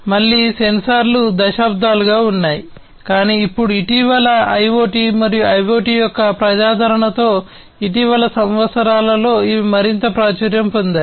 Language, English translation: Telugu, Again sensors have been there for decades, but then now recently they have become even more popular in the recent years, with the popularity of IoT and IIoT